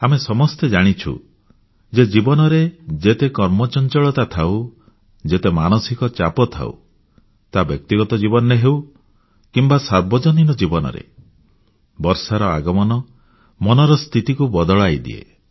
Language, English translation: Odia, One has seen that no matter how hectic the life is, no matter how tense we are, whether its one's personal or public life, the arrival of the rains does lift one's spirits